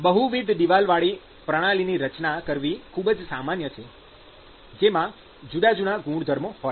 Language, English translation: Gujarati, It is very, very often very common to design system with multiple wall which actually have different properties